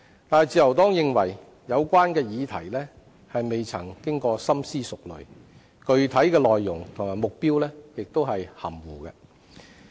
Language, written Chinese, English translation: Cantonese, 但自由黨認為有關議題未經深思熟慮，具體內容及目標亦含糊。, But the Liberal Party considers the proposal ill - conceived with vague details and objectives